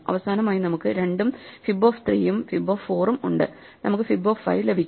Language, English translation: Malayalam, And finally, we have 2 and fib 3 and fib 4, so we can get fib 5